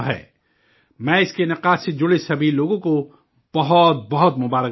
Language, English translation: Urdu, I congratulate all the people associated with its organization